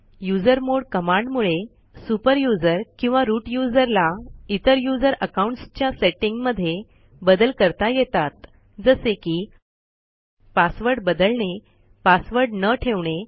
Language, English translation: Marathi, The usermod command Enables a super user or root user to modify the settings of other user accounts such as Change the password to no password or empty password